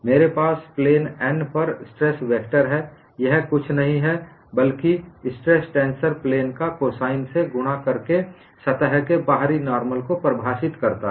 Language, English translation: Hindi, I have the stress vector on plane n is nothing but stress tensor multiplied by the direction cosines defining the outward normal of the plane